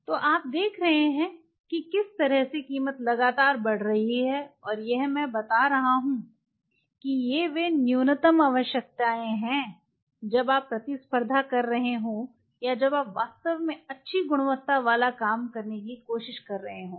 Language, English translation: Hindi, So, you are saying how the price is continuously jacking up and these are I am telling these are bare essential when you are competing or when you are trying to pull out really good quality work